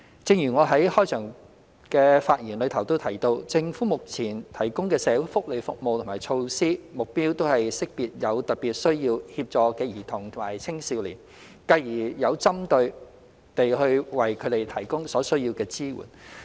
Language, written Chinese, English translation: Cantonese, 正如我在開場發言時提到，政府目前提供的社會福利服務和措施，目標都是識別有特別需要協助的兒童及青少年，繼而有針對地為他們提供所需的支援。, As I mentioned in my opening remarks the social welfare services and measures currently provided by the Government all aimed at identifying children and young people in special need of assistance and providing them with the necessary support in a targeted manner